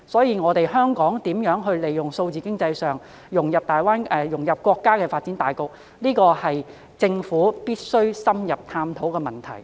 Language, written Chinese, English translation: Cantonese, 因此，香港如何利用數字經濟融入國家發展大局，是特區政府必須深入探討的課題。, Thus how Hong Kong is going to make use of digital economy to integrate into the countrys overall development is a topic that warrants thorough consideration by the SAR Government